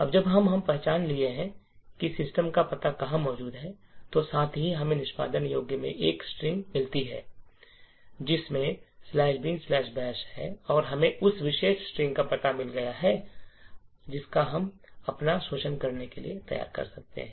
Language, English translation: Hindi, Now that we have identified where the address of system is present and also, we have found a string in the executable which contains slash bin slash bash and we found the address of that particular string, we are ready to build our exploit